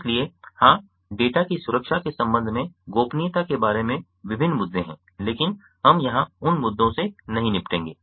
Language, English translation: Hindi, so, yes, there are various issues regarding privacy, regarding security of data, but we wont be dealing with those issues here